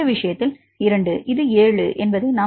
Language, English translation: Tamil, So, this is this 7 this will be 0